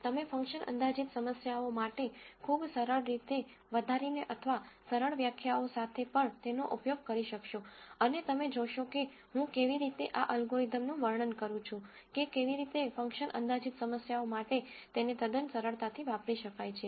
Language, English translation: Gujarati, You could also use it with very simple extensions or simple definitions for function approximation problems also, and you will see as I describe this algorithm how it could be adapted for function approximation problems quite easily